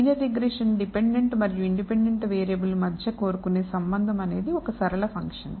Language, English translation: Telugu, Linear regression the relationship that we seek between the dependent and the independent variable is a linear function